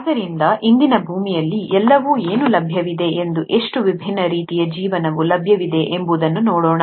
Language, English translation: Kannada, So let’s look at what all is available and how many different forms of life are available on today’s earth